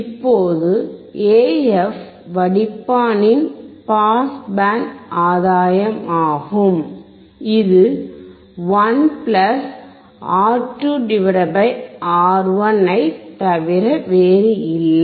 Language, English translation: Tamil, Now, AF is a pass band gain of the filter, and is nothing but 1 + (R2 / R1)